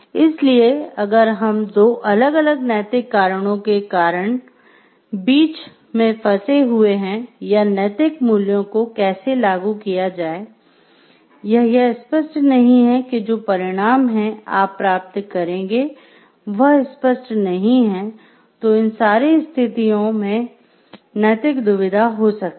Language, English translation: Hindi, So, if we are having conflicts between two moral reasons or how to apply the moral values, if it is not clear and, if it is the outcome that you get from it is not obvious immediately there, it may have a ethical dilemma